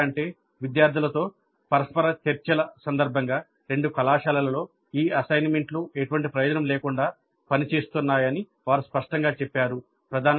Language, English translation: Telugu, So much so that in a couple of colleges during interactions with the students they plainly told that these assignments are serving no purpose at all